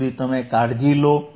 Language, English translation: Gujarati, tTill then you take care